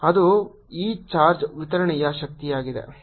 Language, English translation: Kannada, that is the energy of this charge distribution